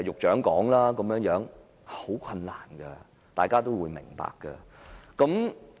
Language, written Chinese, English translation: Cantonese, 這是很困難的，大家都會明白。, It is very difficult and everybody should understand that